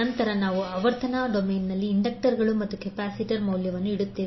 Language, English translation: Kannada, And then we will put the value of the inductors and capacitor, in frequency domain